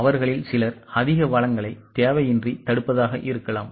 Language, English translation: Tamil, Some of them may be blocking more resources unnecessarily